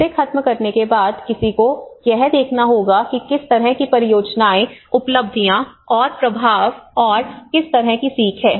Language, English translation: Hindi, After finishing it, one has to look at what kinds of projects, achievements and the impacts and what kind of learnings it has